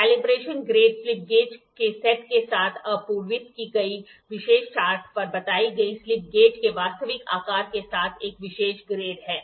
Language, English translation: Hindi, Calibration grade is a special grade with the actual size of the slip gauge stated on a special chart supplied with the set of slip gauges